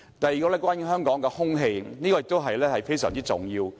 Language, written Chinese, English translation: Cantonese, 第二，關於香港的空氣，這也非常重要。, Secondly the air quality of Hong Kong is also very important